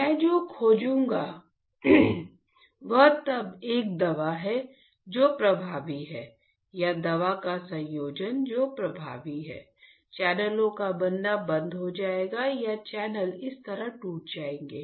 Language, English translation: Hindi, What I will find is then a drug which is effective or combination of the drug which is effective will stop formation of channels or the channels would be broken like this